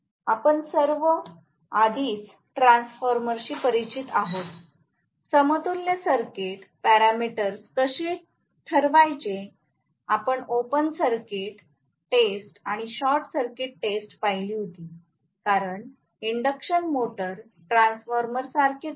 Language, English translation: Marathi, We all are already familiar with transformer, how to determine the equivalent circuit parameters, we had seen open circuit test and short circuit test, as induction motor is very similar to a transformer